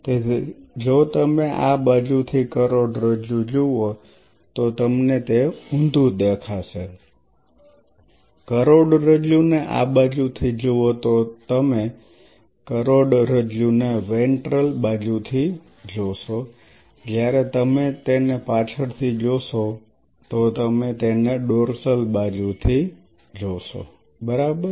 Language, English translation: Gujarati, So, if you look at the spinal cord from this side you open the viscera and look at the spinal cord you will be looking at the spinal cord from the ventral side whereas, if you look it from the back you will look it from the dorsal side ok